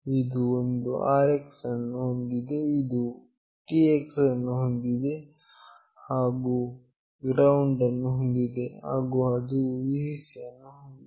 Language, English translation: Kannada, It has got an RX, it has got a TX, it has got a GND, and it has got a Vcc